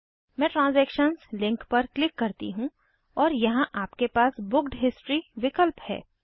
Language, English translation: Hindi, Let me click the transaction link and you have booked history